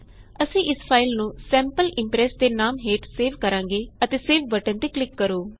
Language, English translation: Punjabi, We will name this file as Sample Impress and click on the save button